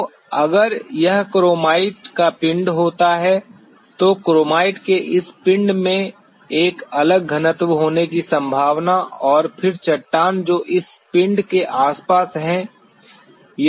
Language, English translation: Hindi, So, if it happens to be a body of chromite then this body of chromite is likely to have a distinctly different density and then the rock which are surrounding this body